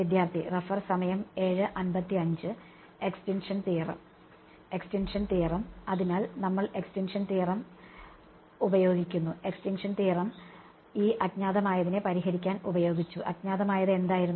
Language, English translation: Malayalam, Extinction theorem right; so, we use the extinction theorem; extinction theorem was used to solve for the unknowns right, what were the unknowns